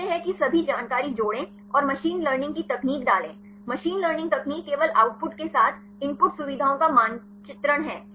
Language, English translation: Hindi, Say add all the information and put the machine learning techniques; machine learning techniques is just the mapping of the input features with the output